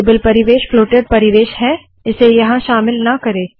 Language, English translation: Hindi, Table environment is a floated one, do not include it here